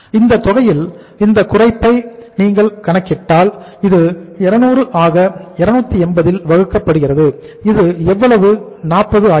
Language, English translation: Tamil, And if you calculate this reduction in this amount so this works out as 200 divided by how much 280 and this becomes how much, 40